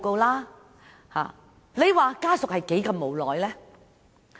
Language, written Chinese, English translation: Cantonese, 你們看看，家屬是何等的無奈。, One can readily understand how helpless the families were